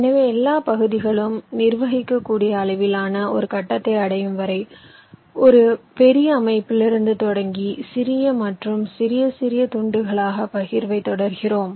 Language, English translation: Tamil, ok, so, starting with a large system, we continually go on partitioning it in a smaller and smaller pieces until we reach a stage where all the pieces are of manageable size